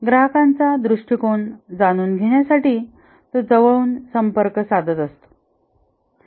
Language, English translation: Marathi, He liaises closely with the customer to get their perspective